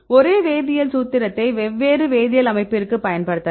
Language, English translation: Tamil, Right they have the same chemical formula, but different chemical structure right